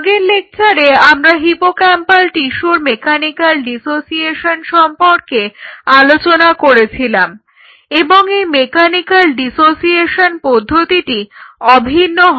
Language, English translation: Bengali, So, in the last lecture we talked about the mechanical dissociation of the hippocampal tissue and this whole mechanical dissociation process is uniform